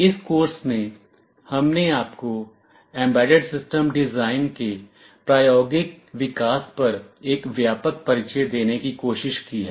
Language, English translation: Hindi, In this course, we have tried to give you a broad introduction to hands on development of embedded system design